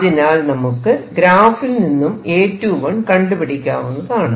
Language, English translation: Malayalam, So, through these I can determine what A 21 would be